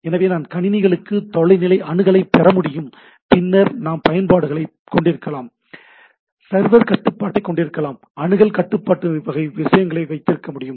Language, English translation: Tamil, So, I can have a remote access to the systems by, and then we can have applications, we can have server control, we can have access control type of things